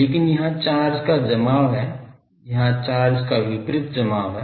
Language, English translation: Hindi, But there is an accumulation of charge here there is an opposite accumulation of charge here